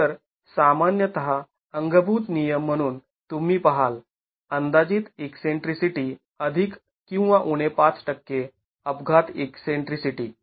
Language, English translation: Marathi, So typically as a thumb rule you would look at eccentricity estimated plus or minus 5% accidental eccentricity